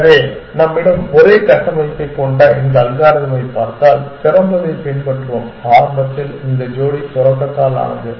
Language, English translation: Tamil, So, if you look at this algorithm that we have the same framework, we will follow open is initially made of this pair start